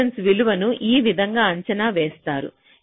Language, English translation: Telugu, so this is how resistance value is estimated